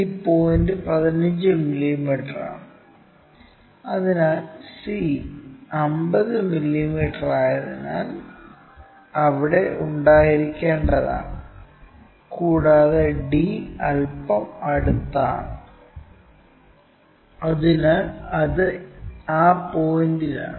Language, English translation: Malayalam, This point is at 15 mm, so this is the one, because c is at 50 mm is supposed to be there, and d is bit closer so it is at that point